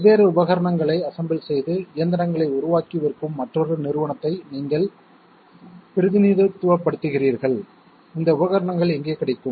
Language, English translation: Tamil, You represent another company which builds and sells machines by assembling different pieces of equipment and where are these equipments available